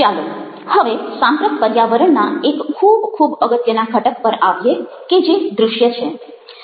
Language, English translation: Gujarati, now lets come to a very, very important component of ah contemporary communicative environment, which is visuals